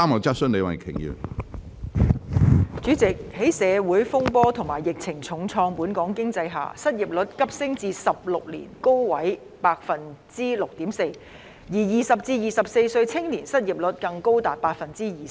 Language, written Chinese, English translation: Cantonese, 主席，在社會風波及疫情重創本港經濟下，失業率急升至16年高位的百分之六點四，而20至24歲青年的失業率更高達百分之二十。, President as Hong Kongs economy has been hard hit by social disturbances and the epidemic the unemployment rate has surged to 6.4 % which is the highest in 16 years and the unemployment rate of the youth aged 20 to 24 even stands as high as 20 %